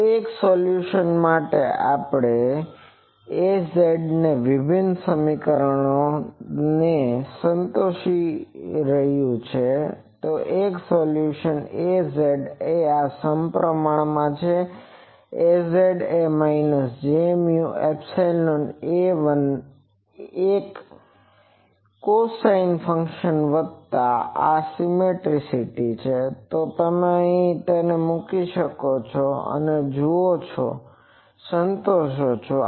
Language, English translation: Gujarati, So one solution, because A z is satisfying this differential equation: one solution is A z, A z z is equal to minus j mu epsilon A 1 one cosine function plus to have this symmetry, and this you can put it here, and see that it satisfies